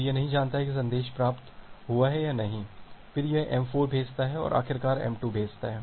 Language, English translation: Hindi, So, it does not know that whether the message has been received or not then it again sends m4 and finally, sends m2